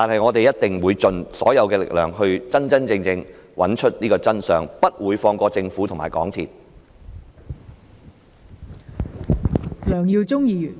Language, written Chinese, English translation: Cantonese, 我們一定會盡所有力量真真正正地找出真相，不會放過政府和港鐵公司。, We will definitely make the utmost effort to really uncover the truth . We will not go easy on the Government and MTRCL